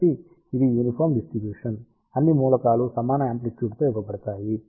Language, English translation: Telugu, So, this is the distribution uniform all elements are fed with equal amplitude